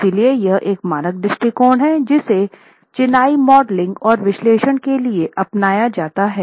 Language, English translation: Hindi, So, this is one standard approach that is adopted for masonry modeling and analysis